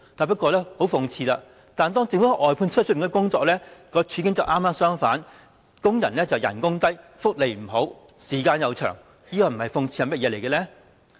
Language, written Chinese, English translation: Cantonese, 不過，很諷刺的是，政府的外判工處境剛剛相反，工資低、福利差、時間長，這不是諷刺是甚麼呢？, It is most ironic that the situation of outsourced workers of the Government is the exact opposite low wages poor benefits long working hours . What else can this be if not irony?